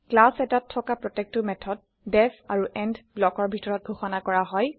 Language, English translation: Assamese, Each method in a class is defined within the def and end block